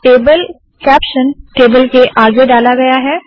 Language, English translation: Hindi, Table caption is put before the table